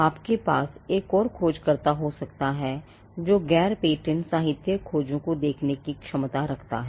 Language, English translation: Hindi, You could have another searcher who is who has the competence to look at non patent literature searches